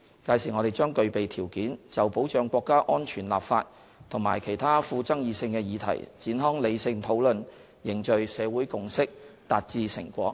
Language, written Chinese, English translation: Cantonese, 屆時，我們將具備條件，就保障國家安全立法及其他富爭議性的議題展開理性討論，凝聚社會共識，達致成果。, At that time we will have the right conditions to embark on a rational discussion on enacting legislation for safeguarding national security and other controversial issues build consensus in the community and achieve a successful outcome